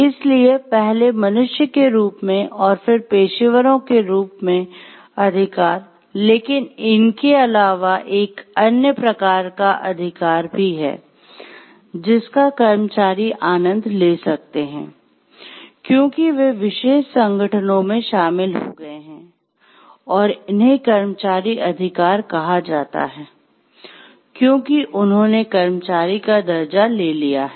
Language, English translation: Hindi, So, first as human beings and then rights as professionals, but there is also another kind of right which the employees, which there is also another kind of right which they may enjoy, because they have joined particular organizations and these are called employee rights, because they have taken the status of employee